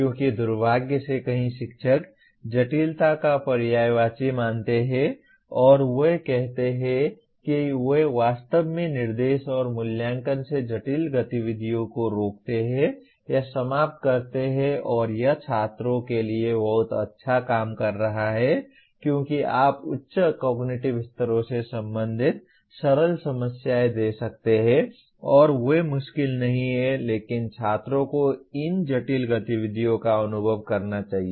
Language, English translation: Hindi, Because unfortunately many teachers consider complexity is synonymous with difficulty and they say they somehow prevent or eliminate complex activities from actually instruction and assessment and that would be doing a great disservice to the students because you can give simpler problems belonging to higher cognitive levels and they will not become difficult but students should experience these complex activities